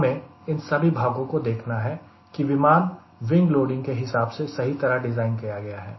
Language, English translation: Hindi, everywhere we need to see that the aircraft is properly designed as far as wing loading is concerned